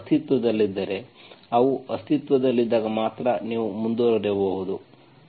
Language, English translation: Kannada, If it exists, only when they exist, you can proceed